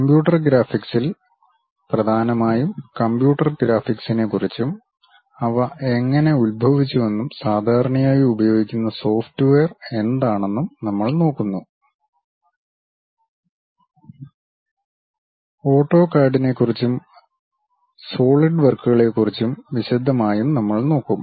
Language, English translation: Malayalam, In computer graphics, we mainly cover overview of computer graphics, how they have originated and what are the commonly used softwares; little bit about AutoCAD and in detail about SolidWorks